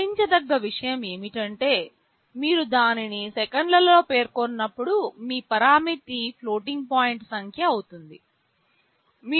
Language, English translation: Telugu, The only point to note is that when you specify it in seconds, your parameter will be a floating point number, you can write 2